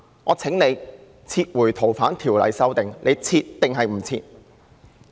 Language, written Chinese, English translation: Cantonese, 我請他撤回《逃犯條例》的修訂，他"撤"還是"不撤"？, I urge him to withdraw the amendment bill on FOO . Will he withdraw it or not?